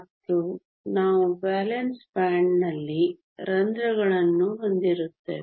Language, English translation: Kannada, And we will have holes in the valence band